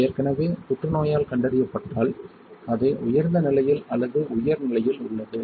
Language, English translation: Tamil, When it is diagnosed because already the cancer it has it is at the higher state or higher stage alright